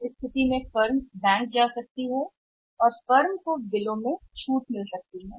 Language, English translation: Hindi, In that case firm can go to the bank and firm can get the bills discounted